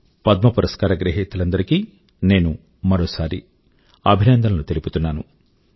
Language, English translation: Telugu, Once again, I would like to congratulate all the Padma award recipients